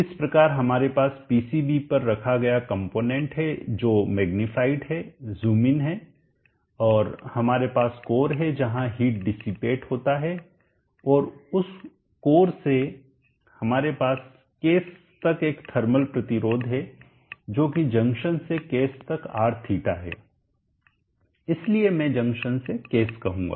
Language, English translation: Hindi, So we have the component placed on the PCV which magnify zoomed in and we have the core where the heat is dissipated and from that core we have a thermal resistance up to the case and that is r